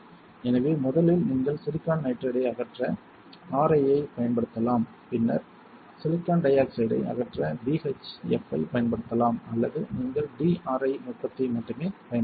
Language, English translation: Tamil, So, first is you can use RI to remove silicon nitride then you can use BHF to to remove silicon dioxide or you can only use the DRI technique